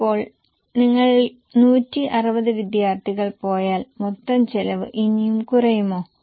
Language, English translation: Malayalam, Now if you go for 160 students will total cost further go down